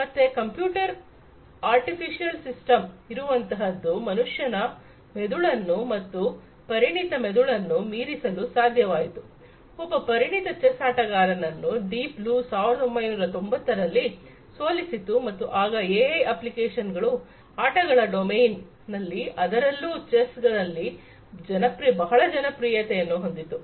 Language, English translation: Kannada, So, the computer so, that was when an artificial system was able to supersede the brain of a human being and an expert brain, an expert chess player was defeated by Deep Blue in 1990s and that is when the applications of AI became popular in the domain of games and chess, particularly